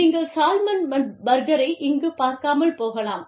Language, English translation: Tamil, You may not even find, salmon here